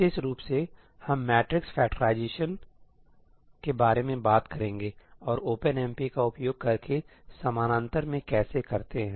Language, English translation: Hindi, In particular, we will be talking about matrix factorization and how to do that in parallel using OpenMP